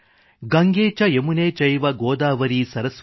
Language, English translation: Kannada, GangeCheYamuneChaive Godavari Saraswati